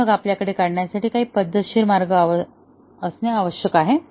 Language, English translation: Marathi, But, then we must have some systematic way of drawing this